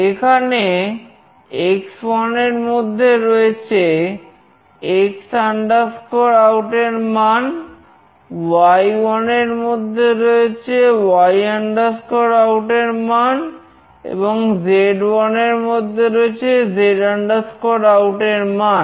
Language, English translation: Bengali, Here x1 is the X OUT value, y1 is the Y OUT value, and z1 is the Z OUT value